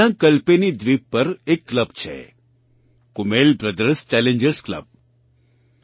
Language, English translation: Gujarati, There is a club on Kalpeni Island Kummel Brothers Challengers Club